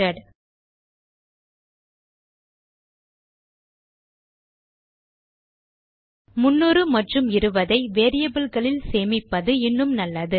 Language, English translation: Tamil, Obviously a good thing to do is to store 300 and 20 in variables Lets set them here